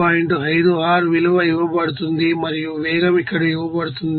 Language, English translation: Telugu, 5 r value and velocity is given here